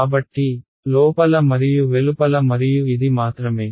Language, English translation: Telugu, So, in and out and this is only in